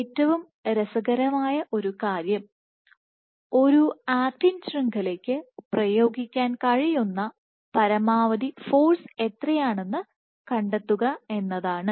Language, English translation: Malayalam, So, one of the most interesting aspects is to find out what is the maximum force that can be exerted by an actin network